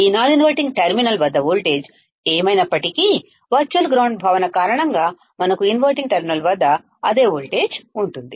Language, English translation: Telugu, Whatever voltage is at this non inverting terminal, same voltage, we will have at the inverting terminal because of the concept of virtual ground